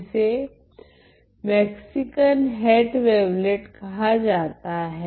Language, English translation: Hindi, It is also known as the Mexican hat wavelet ok